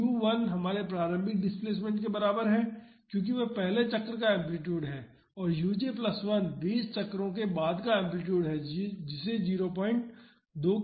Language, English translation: Hindi, So, u 1 is equal to our initial displacement because that is the amplitude of the first cycle and u j plus 1 is the amplitude after 20 cycles that is given as 0